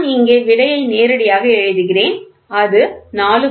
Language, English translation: Tamil, So, I thought I will write directly the answer 4